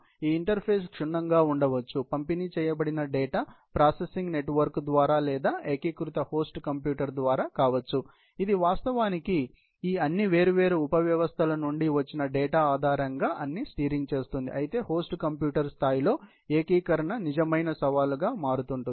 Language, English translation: Telugu, This interface may be thorough, may be either through a distributed data processing network or through a unified host computer, which will actually do all the steering and maneuvering, based on data from all these different sub systems, but the integration becomes a real challenge at a host computer level